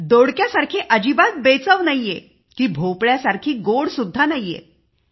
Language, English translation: Marathi, Neither tasteless like ridge gourd nor sweet like pumpkin